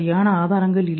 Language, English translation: Tamil, There is no good evidence